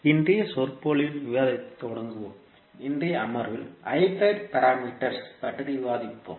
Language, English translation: Tamil, So, let us start the discussion of today’s lecture, we will discuss about the hybrid parameters in today's session